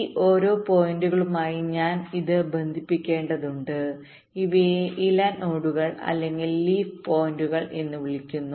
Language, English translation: Malayalam, ok, i have to connect this to each of these points and these are called leaf net, leaf nodes or leaf points